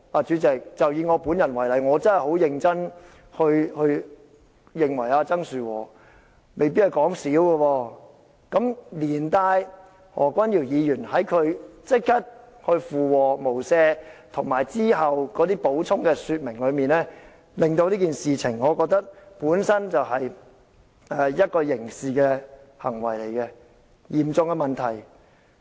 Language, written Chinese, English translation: Cantonese, 主席，以我本人為例，我真的很認真認為曾樹和未必是說笑，連帶何君堯議員立即附和說"無赦"，以及其後的補充說明，我會認為這件事情本身是刑事行為，是嚴重的問題。, President to me I sincerely think that he may not be joking at all . Equally I will consider Dr Junius HOs echoing this kill remark immediately by saying without mercy and his further explanations a criminal offence and a serious problem